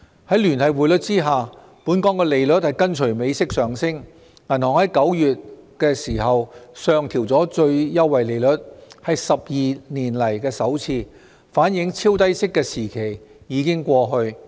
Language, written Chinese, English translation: Cantonese, 在聯繫匯率下，本港利率跟隨美息上升，銀行在9月上調最優惠利率，是12年來首次，反映超低息的時期已經過去。, Under the linked exchange rate system Hong Kongs interest rates are bound to rise in tandem with those in the United States . In September the prime rate was raised by the banks for the first time in 12 years marking the end of the period of ultra - low interest rates